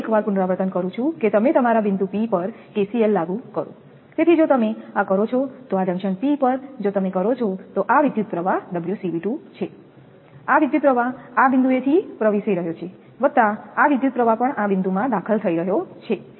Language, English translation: Gujarati, I repeat once again you apply your KCL at point P, so if you do, so at this junction P, if you do, so this current is omega C V 2 this current is entering at this point plus this current is also entering in the point